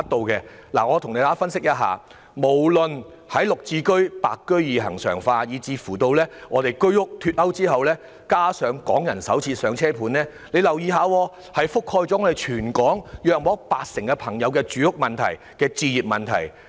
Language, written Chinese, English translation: Cantonese, 按照我的分析，由"綠置居"或"白居二"恆常化，居屋脫勾以至"港人首置上車盤"，已涉及全港約八成市民的住屋和置業問題。, According to my analysis from regularizing Green Form Subsidised Home Ownership Scheme GSH or White Form Secondary Market Scheme WSM delinking the pricing of HOS flats to introducing the Starter Homes Pilot Scheme for Hong Kong Residents these initiatives have covered about 80 % of the housing and home ownership issues of Hong Kong people